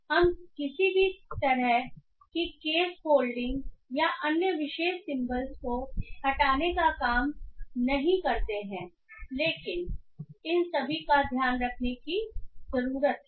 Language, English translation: Hindi, We don't do any case folding or any removal of other special symbols but all these needs to be taken care